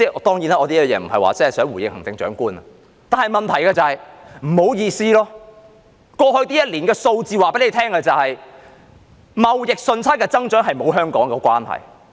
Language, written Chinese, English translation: Cantonese, 當然，我這樣說並非想回應行政長官，但問題是不好意思，過去一年的數字顯示，貿易順差的增長與香港沒有關係。, Certainly I am not responding to the Chief Executive by saying this but the problem is that regrettably the figures for the past year show that the growth in trade surplus has nothing to do with Hong Kong